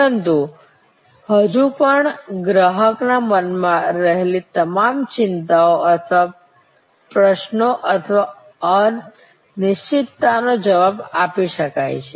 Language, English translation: Gujarati, But, still cannot respond to all the anxieties and queries or uncertainties in customer's mind